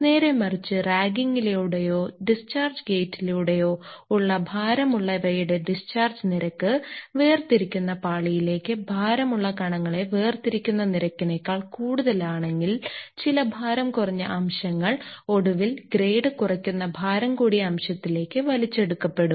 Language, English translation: Malayalam, Conversely if the discharge rate of heavies through the ragging or through the discharge gate is greater than the rate of segregation of heavy particles into the separation layer, then some light particles will eventually be drawn into the heavy fraction lowering the grade that